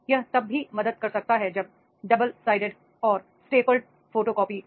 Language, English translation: Hindi, It can also help the double sided and staple photocoping is there